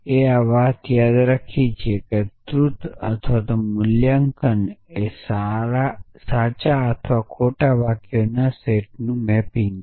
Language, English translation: Gujarati, We are so remember this truth or valuation is a mapping to this set of true or false sentences